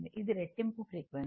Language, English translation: Telugu, It is a double frequency